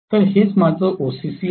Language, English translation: Marathi, So this is what is my OCC right